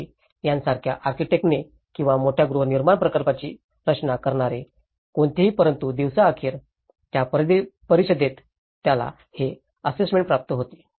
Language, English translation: Marathi, Doshi or anyone who is designing the big housing projects but at the end of the day who is receiving that in the evaluation, in the council